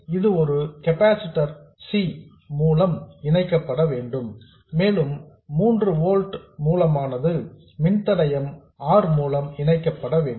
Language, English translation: Tamil, So, this has to be coupled through a capacitor C and the 3 volt source has to be coupled through a resistor R